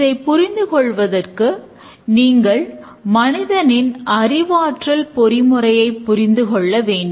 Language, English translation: Tamil, To understand that we need to little bit understand the human cognitive mechanism